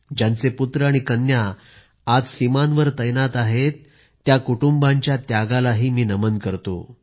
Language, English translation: Marathi, I also salute the sacrifice of those families, whose sons and daughters are on the border today